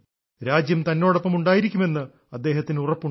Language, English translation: Malayalam, They feel confident that the country stands by them